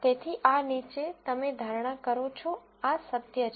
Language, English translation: Gujarati, So, in this down, you get prediction, this is the truth